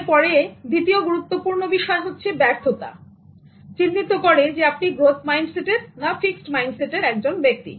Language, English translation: Bengali, Failure is the next important aspect of identifying whether you have a growth mindset or a fixed mindset